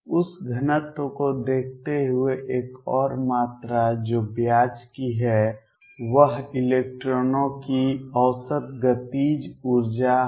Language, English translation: Hindi, Given that density another quantity which is of interest is the average kinetic energy of electrons